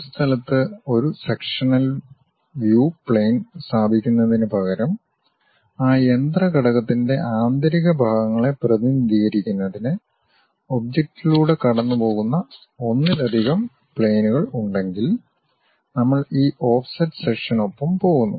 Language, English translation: Malayalam, Instead of having a sectional plane at one location, if we have multiple planes passing through the object to represent interior parts of that machine element; then we go with this offset section